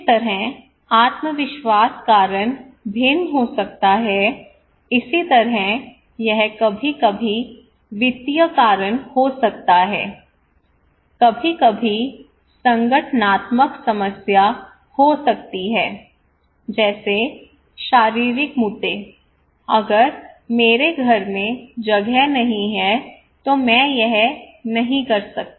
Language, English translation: Hindi, The kind of confidence the reason could be different it could be sometimes financial reasons it could be sometimes organizational problem, physical issues like if I do not have space in my house I cannot do it